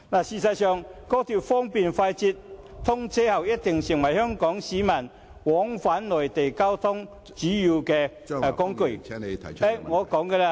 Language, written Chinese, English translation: Cantonese, 事實上，高鐵方便快捷，通車後定必會成為香港市民往返內地的主要交通工具......, In fact fast and convenient XRL will surely become a major mode of transport between Hong Kong and the Mainland for Hong Kong people after its commissioning